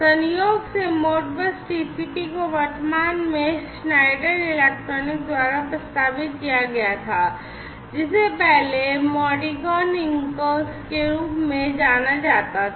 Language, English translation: Hindi, So, incidentally Modbus TCP has been proposed by present day Schneider electric, which was earlier known as the Modicon Inc